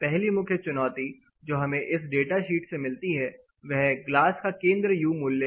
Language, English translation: Hindi, The first major challenge is what you get from this data sheet is something called center of glass U value